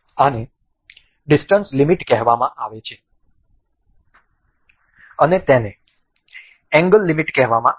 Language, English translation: Gujarati, the This is called distance limit and this is called a angle limit